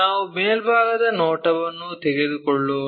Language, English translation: Kannada, Let us take the top view